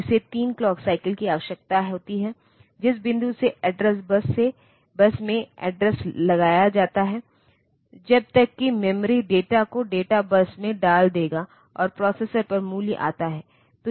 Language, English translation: Hindi, So, it needs 3 clock cycles starting from the point at which the address is put onto the address bus till the memory will put the data on to the data bus and the value comes to the processor